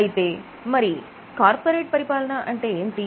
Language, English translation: Telugu, So, what is corporate governance